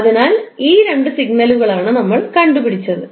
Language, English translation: Malayalam, So these are the two signals which we have computed